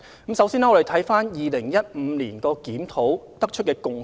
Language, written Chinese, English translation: Cantonese, 我們先看看2015年檢討得出甚麼共識。, Let us look at the consensus reached during the 2015 consultation